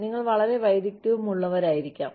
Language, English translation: Malayalam, You may be very skilled